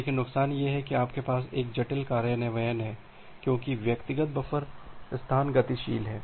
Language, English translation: Hindi, But the disadvantage is you have a complicated implementation because individual buffer spaces are dynamic